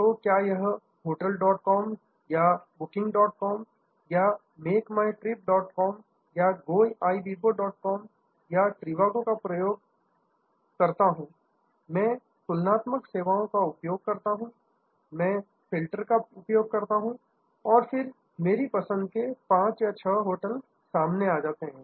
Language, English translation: Hindi, So, be it hotels dot com or booking dot com or make my trip dot com or goibbo dot com, I use trivago, I use the comparative services, I use the filters and then, come to may be 5 or 6 hotels of my choice